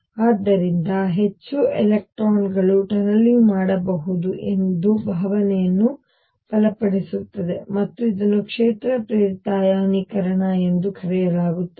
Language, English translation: Kannada, So, stronger the feel more electrons can tunnel through and this is known as field induced ionization